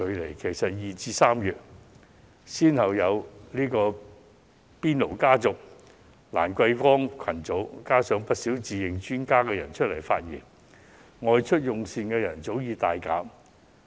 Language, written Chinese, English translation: Cantonese, 然而，早在2月及3月初，已先後出現"邊爐家族"及"蘭桂坊群組"，加上不少人自認專家提出意見，外出用膳的人早已大減。, However the number of diners has nosedived in as early as February and early March after the emergence the hotpot family and the Lan Kwai Fong group . The advice of many self - claimed experts was another catalyst